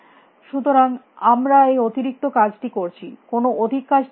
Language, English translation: Bengali, So, we are doing this extra work, what this extra work we are doing